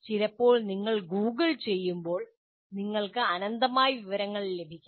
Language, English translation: Malayalam, Sometimes when you Google, you get endless number of, endless amount of information